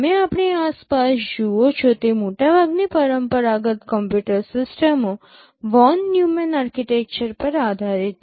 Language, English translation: Gujarati, Most of the conventional computer systems that you see around us are based on Von Neumann architecture